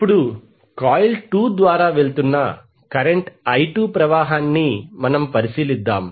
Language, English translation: Telugu, Now let us consider the current I 2 flows through coil 2